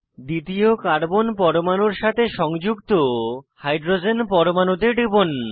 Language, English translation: Bengali, Click on the hydrogen atom attached to the second carbon atom